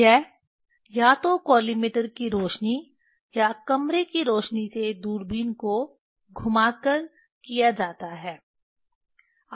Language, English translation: Hindi, it is done either collimator light or room light rotating the telescope